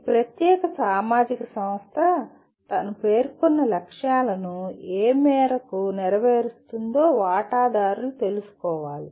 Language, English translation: Telugu, And the stakeholder should be made aware of to what extent this particular social institution is meeting its stated objectives